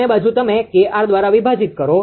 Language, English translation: Gujarati, Both side you divide by KR